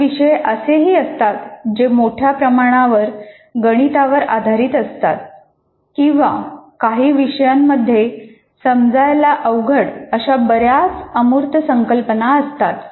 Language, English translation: Marathi, You can also have courses which are highly mathematical in nature or it has several abstract concepts which are difficult to grasp